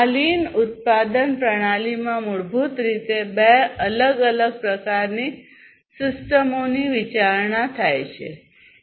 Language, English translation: Gujarati, So, this lean production system has basically considerations of two different types of systems that were there